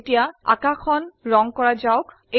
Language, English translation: Assamese, Lets color the sky now